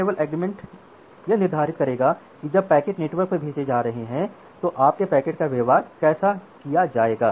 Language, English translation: Hindi, Now this SLA will determine that how your packets will be treated when the packets are going over the network